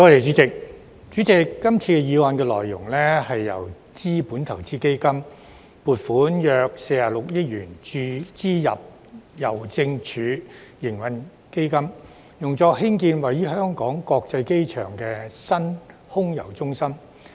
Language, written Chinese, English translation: Cantonese, 主席，今次的議案內容，是由資本投資基金撥款約46億元注資郵政署營運基金，用作興建位於香港國際機場的新空郵中心。, President the motion this time seeks to inject approximately 4,600 million from the Capital Investment Fund to the Post Office Trading Fund for the development of a new Air Mail Centre AMC in Hong Kong International Airport